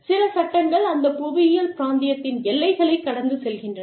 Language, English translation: Tamil, Some laws, extend across the boundaries, of that geographical region